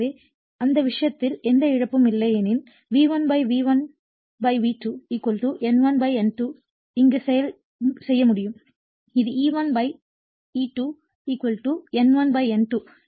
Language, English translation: Tamil, So, in that case if we assume that there is no loss then we can make V1 / V1 / V2 = your N1 / N2 here it is E1 / E2 = N1 / N2 right